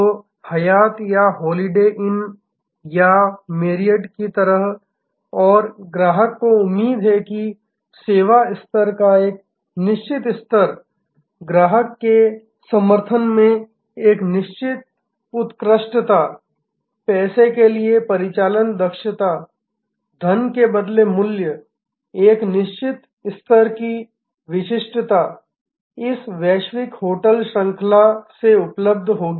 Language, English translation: Hindi, So, like Hyatt or Holiday Inn or Marriott and the customer expects that a certain level of service level, a certain excellence in customer endearment, a certain level of operational efficiency value for money, a certain level of distinctiveness will be available from this global hotel chain